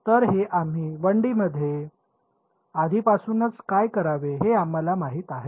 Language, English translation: Marathi, So, this we in 1 D we already know what to do